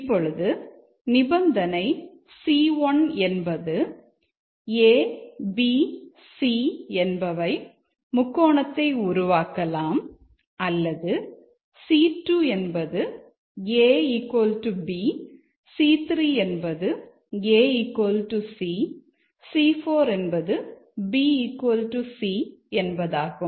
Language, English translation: Tamil, Now the conditions here are that A, B, C C C2 is A equal to B, C3 is A equal to C, C4 is B equal to C